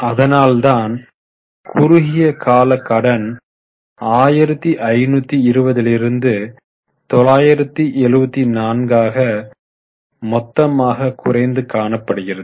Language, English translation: Tamil, That is why you can see here total reduction is 1520 of that 974 is now a short term borrowing